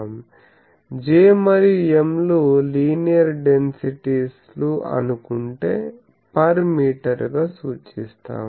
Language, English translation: Telugu, So, let me say will J and M linear densities per meter quantities